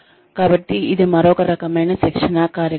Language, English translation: Telugu, So, that is another type of training program